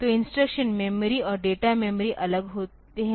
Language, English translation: Hindi, So, instruction memory and data memory are separated